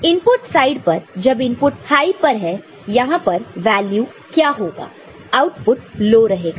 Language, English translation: Hindi, So, at the input side when the input is say logic high; what will be the value here, output will be low